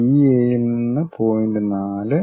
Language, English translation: Malayalam, From DA the point is 4